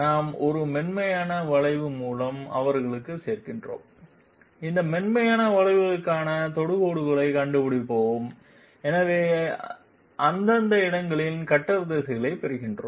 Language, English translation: Tamil, We join them by a smooth curve, we find out that tangents to this smooth curve hence we get the cutter directions at these respective locations